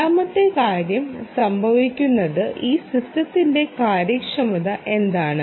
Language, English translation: Malayalam, second thing that occurs is what is the ah ah efficiency of this system